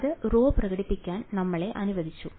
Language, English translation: Malayalam, So, that allowed us to express rho